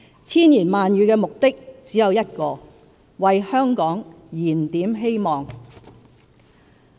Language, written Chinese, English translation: Cantonese, 千言萬語的目的只有一個：為香港燃點希望。, While there are many words they serve just one purpose rekindling hope for Hong Kong